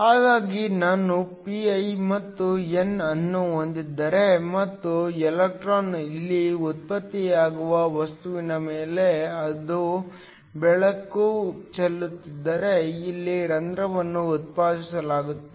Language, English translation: Kannada, So, if I have a p i and a n and I have light shining on to the material electron is generated here, a hole is generated here